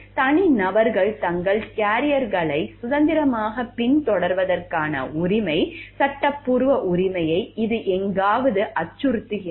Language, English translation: Tamil, It is somewhere threatening the right, the legal entitlement of the individuals to pursue their carriers freely